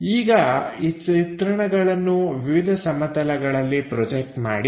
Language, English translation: Kannada, Now project these views onto different planes